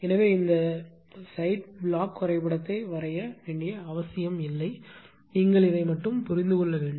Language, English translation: Tamil, So, no need to draw this side block diagram you have to understood this only this much only this one